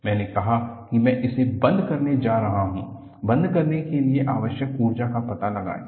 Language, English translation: Hindi, I said, I am going to close it, find out the energy require to close